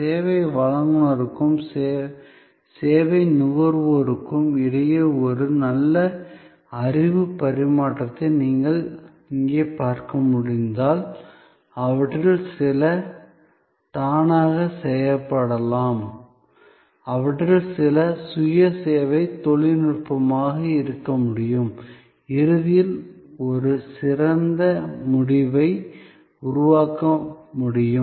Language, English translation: Tamil, And as you can see here therefore, a good knowledge exchange between the service provider and the service consumer, some of that can be automated, some of them can be self service technology driven can create ultimately a better outcome